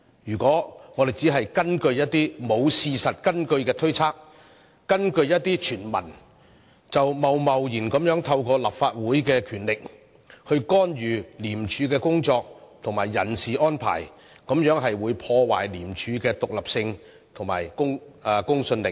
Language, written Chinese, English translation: Cantonese, 如果我們只根據一些沒有事實根據的推測，根據一些傳聞而貿然透過立法會的權力干預廉署的工作和人事安排，這樣只會破壞廉署的獨立性和公信力。, If we base our decision solely on some unfounded speculations and rumours and rashly invoke the power given to this Council to interfere with the work arrangements and personnel matters of ICAC this will only hamper the independence and damage the credibility of ICAC